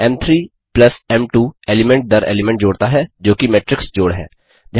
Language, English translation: Hindi, m3+m2 does element by element addition, that is matrix addition